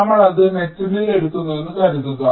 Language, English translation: Malayalam, lets take suppose that we are taking it on metal